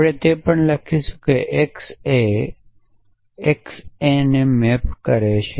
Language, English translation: Gujarati, So, we would also write saying that x maps to x A